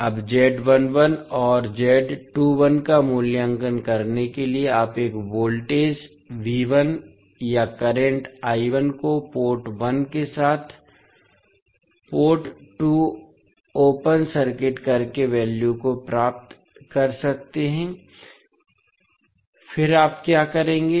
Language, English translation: Hindi, Now to evaluate Z11 and Z21 you can find the values by connecting a voltage V1 or I1 to port 1 with port 2 open circuited, then what you will do